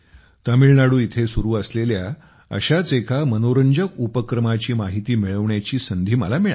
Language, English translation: Marathi, I also got a chance to know about one such interesting endeavor from Tamil Nadu